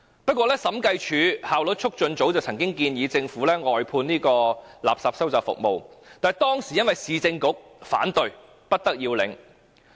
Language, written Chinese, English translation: Cantonese, 不過，審計署及效率促進組曾建議政府外判垃圾收集服務，但當時由於市政局反對而不得要領。, However both the Audit Commission and the Efficiency Unit had recommended the Government to outsource the refuse collection service which could not be carried out due to the opposition of the Urban Council